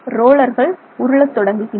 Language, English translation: Tamil, The rollers rotate